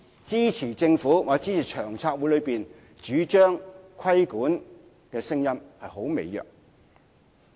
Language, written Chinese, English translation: Cantonese, 支持政府或支持長策會主張規管的聲音似乎很微弱。, It seemed that there was little support for the Governments or the Steering Committees proposal to regulate subdivided units